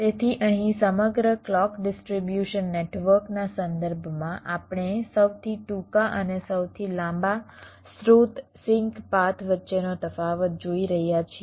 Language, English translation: Gujarati, so so here, with respect to the whole clock distribution network, we are looking at the difference between the shortest and the longest source sink paths